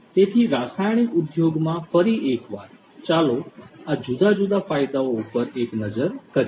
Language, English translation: Gujarati, So, in the chemical industry once again, let us have a look at these different benefits